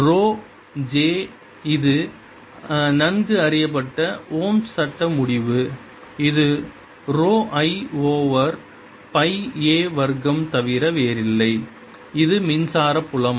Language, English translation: Tamil, this is a well known ohms law result which is nothing but rho i over pi a square